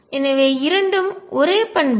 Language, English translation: Tamil, So, both are the same properties